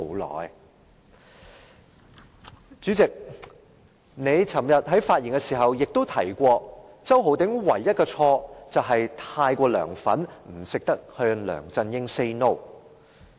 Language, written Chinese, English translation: Cantonese, 代理主席，你昨天發言時又提及，周浩鼎議員唯一的錯誤，便是太過"梁粉"，不懂得向梁振英 "say no"。, Deputy President in your speech yesterday you said that the only mistake Mr Holden CHOW made was he was too much of a LEUNGs fan that he did not know how to say no to LEUNG Chun - ying